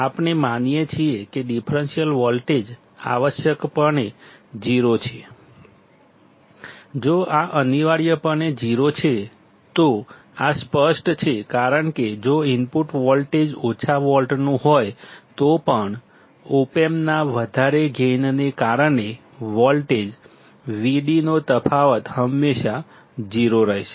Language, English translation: Gujarati, We assume that the differential voltage is essentially 0; if this is essentially 0, then this is obvious because even if the input voltage is of few volts; due to the large op amp gain the difference of voltage V d will always be 0